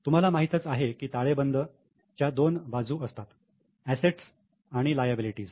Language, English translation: Marathi, Balance sheet you know has two sides assets and liabilities